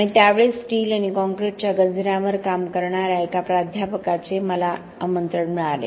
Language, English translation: Marathi, And out of the blue I got an invitation by one of the professors who were working on corrosion of steel and concrete at that time